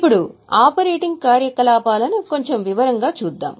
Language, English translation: Telugu, Now let us look at operating activities little more in detail